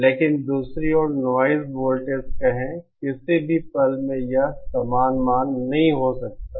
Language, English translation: Hindi, But on the other hand letÕs say noise voltage, at any instant it may not be the same value